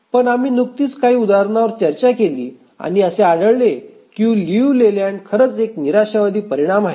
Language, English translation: Marathi, But we just throw some example, found that Liu Leyland is actually a pessimistic result